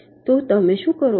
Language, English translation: Gujarati, so what you do